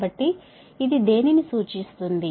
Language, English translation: Telugu, so what does it signify